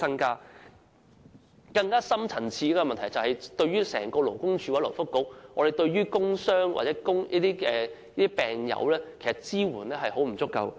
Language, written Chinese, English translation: Cantonese, 更深層次的問題，是勞工及福利局和勞工處對工傷或病友的支援非常不足夠。, A more fundamental issue is the highly insufficient support provided by the Labour and Welfare Bureau and LD for workers with work - related injuries or diseases